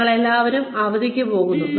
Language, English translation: Malayalam, We all go on vacation